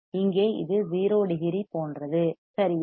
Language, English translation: Tamil, Here you see this is like 0 degree right